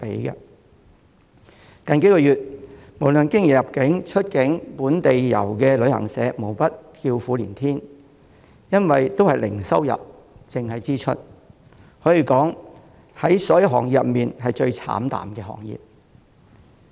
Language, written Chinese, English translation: Cantonese, 過去數月，無論是經營入境、出境或本地遊的旅行社，無不叫苦連天，因為大家也只有支出而沒有收入，可說是所有行業中最慘淡的行業。, Over the past few months travel agents organizing inbound outbound or local tours have all been moaning and groaning as they just see money going out but not coming in which can be regarded as the hardest hit industry among all